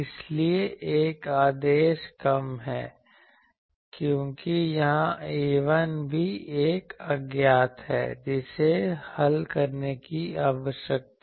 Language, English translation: Hindi, So, one order less, because here this A 1 also is an unknown which needs to be solved